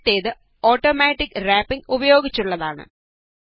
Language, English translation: Malayalam, The first one is by using Automatic Wrapping